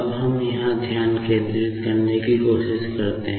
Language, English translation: Hindi, Now, let us try to concentrate here, now here